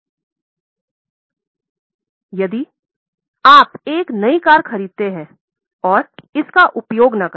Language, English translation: Hindi, Now, if you purchase a brand new car, don't use it